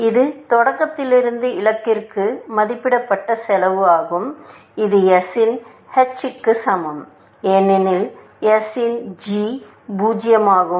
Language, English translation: Tamil, That is the estimated cost from start to goal, as which is equal to h of s, because g of s is 0